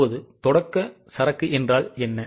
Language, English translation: Tamil, Now what is the opening inventory